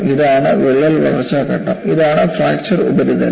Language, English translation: Malayalam, This is the crack growth phase and this is the fracture surface